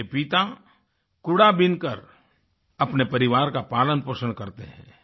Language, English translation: Hindi, His father earns his daily bread by wastepicking